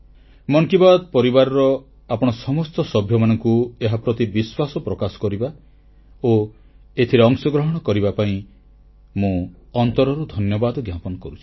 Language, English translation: Odia, I express my gratitude to the entire family of 'Mann Ki Baat' for being a part of it & trusting it wholeheartedly